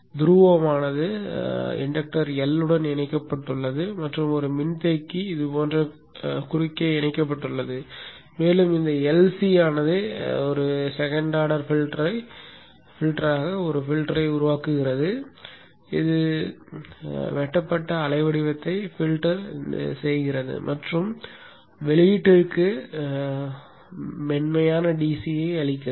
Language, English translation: Tamil, The pole is connected to the inductor L and a capacitor is connected across like this and this LC forms a filter, a second order filter which filters out the chopped waveform and gives a smooth DC to the output